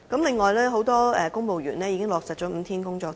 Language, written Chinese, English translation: Cantonese, 此外，很多公務員已經落實5天工作周。, Besides the five - day work week arrangement has been implemented for many civil servants